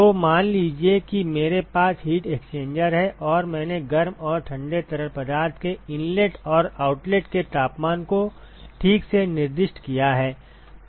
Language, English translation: Hindi, So, suppose I have a heat exchanger and, I have specified the temperatures of the hot and the cold fluid inlet and outlet ok